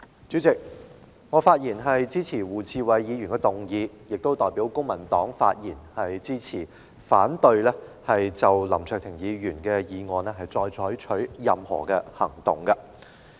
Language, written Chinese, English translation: Cantonese, 主席，我發言支持胡志偉議員的議案，並代表公民黨發言，支持不就譴責林卓廷議員的議案再採取任何行動。, President I rise to speak in support of Mr WU Chi - wais motion . And I speak on behalf of the Civic Party to express support for his proposal that no further action shall be taken on the motion to censure Mr LAM Cheuk - ting